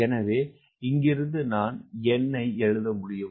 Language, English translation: Tamil, so then i can write d by w